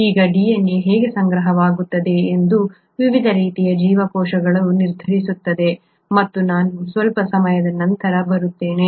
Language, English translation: Kannada, Now, how that DNA is stored is what determines different types of cells and I will come to that a little later